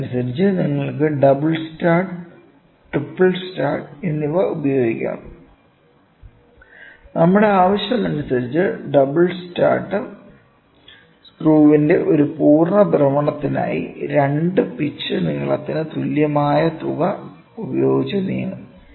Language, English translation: Malayalam, Accordingly you can have double start, triple start, depending upon your requirement, a double start will move by an amount equal to 2 pitch length for one complete rotation of the screw